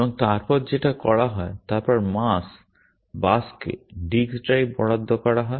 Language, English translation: Bengali, And then the action is, then assigned the disk drive to the mass bus